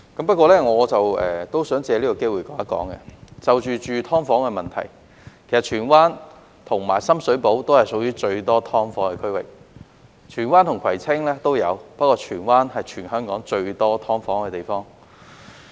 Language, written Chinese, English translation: Cantonese, 不過，我亦想藉此機會指出，就居住"劏房"的問題而言，荃灣和深水埗也是屬於最多"劏房"的區域，荃灣與葵青也有，不過荃灣是全香港最多"劏房"的地方。, However I also wish to take this opportunity to point out that in terms of subdivided units Tsuen Wan and Sham Shui Po are the districts with the greatest number of such units; there are subdivided units in both Tsuen Wan and Kwai Tsing but the former is the place mostly packed with such units across the territory